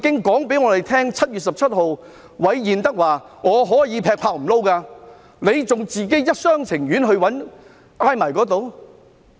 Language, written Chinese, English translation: Cantonese, 當韋彥德在7月17日告訴大家他可以辭職時，為何仍一廂情願傾向他們？, When Robert REED told us on 17 July that he could resign why does the Government still cling to its wishful thinking and favour them?